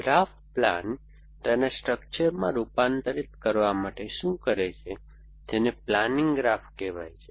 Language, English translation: Gujarati, What graph plan does is to convert it into structure called a planning graph